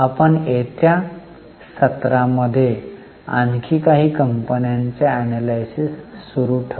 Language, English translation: Marathi, So, we will continue the analysis of a few more companies in coming sessions